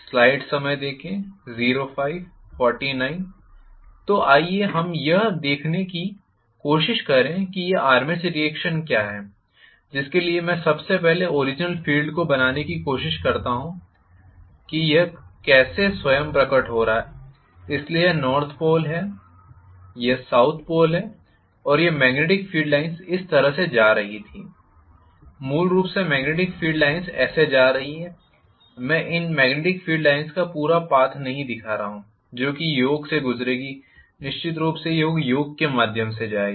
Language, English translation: Hindi, So, let us try to look at what is this armature reaction, for which let me try to first of all draw the original field how this was manifesting itself so this is north pole, this is south pole and I was having the magnetic field line going like this basically this is how the magnetic field lines are going, I am not showing the completing path of this magnetic field line which will go through the yoke, of course, it will go through the yoke